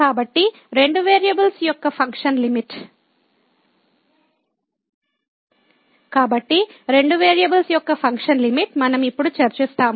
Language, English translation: Telugu, So, Limit of Functions of Two Variables, we will discuss now